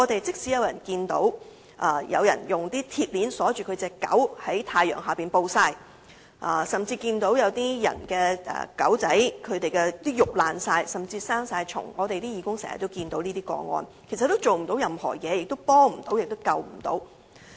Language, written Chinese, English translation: Cantonese, 即使有人看見狗隻被人用鐵鏈鎖着在太陽下暴曬，甚至狗隻身上的肉已潰爛並長滿了蟲，而這亦是義工經常看見的情況，但卻甚麼也做不到、幫不到，也拯救不到。, Although dogs are sometimes found to be chained under the hot sun or bodies festered and covered with parasites which are cases which volunteers often come across nothing can be done to help or rescue them